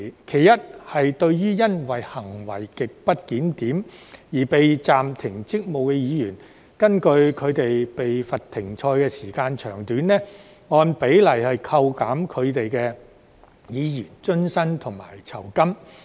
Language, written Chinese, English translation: Cantonese, 其一是對於因行為極不檢點而被暫停職務的議員，根據他們被罰"停賽"的時間長短，按比例扣減其議員津貼及酬金。, The first one is to deduct the allowances and remuneration of a Member who is suspended from service for grossly disorderly conduct in proportion to the duration of his or her suspension